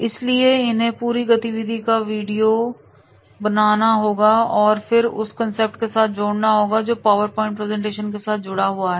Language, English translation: Hindi, So therefore, they have to make a video of interactivity and then connect with the concept that is along with the PowerPoint presentation they are supposed to connect